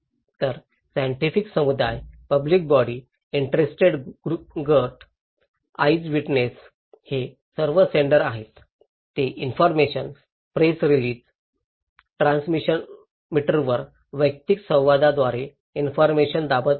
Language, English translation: Marathi, So, scientific communities, public agencies, interest group, eye witness they are all senders they are pressing the informations through reports, press release, personal interactions to the transmitter